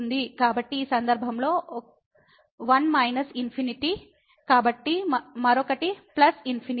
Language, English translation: Telugu, So, in this case since one is minus infinity another one is plus infinity